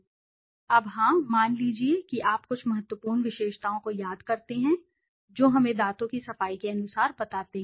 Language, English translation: Hindi, Now, yes, suppose you miss out some of the important attributes let us say as per teeth cleaning